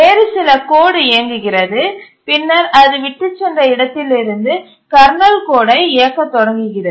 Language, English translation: Tamil, Some other code runs and then starts running the kernel code where it left